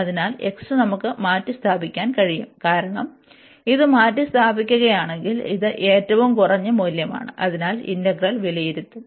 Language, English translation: Malayalam, So, here the x we can replace, because this is the minimum value if you replace this one, so that the integral will be the larger one